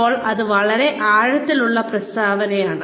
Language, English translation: Malayalam, Now, this is a very profound statement